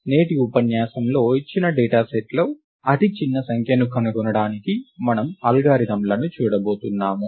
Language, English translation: Telugu, In today's lecture we are going to look at algorithms for finding the ith smallest number in a given data set